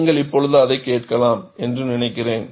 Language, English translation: Tamil, I think you can hear it now